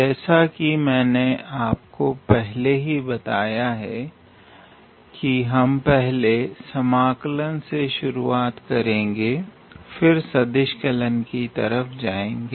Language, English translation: Hindi, And as I have told you that we will basically start with the integral calculus section at first, and then we will move to the vector calculus part